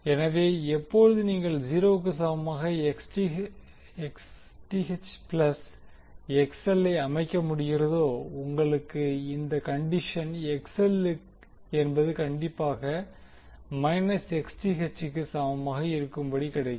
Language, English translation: Tamil, So, when you set Xth plus XL equal to 0, you get the condition that XL should be equal to minus of Xth